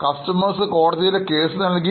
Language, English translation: Malayalam, Customer files a case in the court